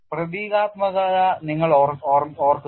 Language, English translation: Malayalam, and mind you, the symbolism